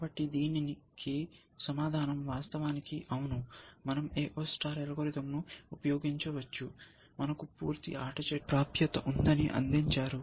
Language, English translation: Telugu, So, the answer to this is actually yes, we can use the A O star algorithm, provide it we have access to the complete game tree